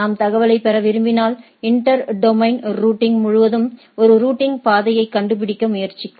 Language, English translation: Tamil, If I want to get information and try to find a routing path across of the inter domain routing